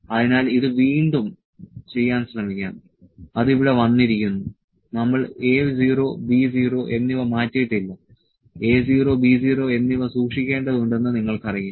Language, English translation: Malayalam, So, let us try to do this again, to it has come here, we did not change the A 0 and B 0 you know A 0 and B 0 was to be kept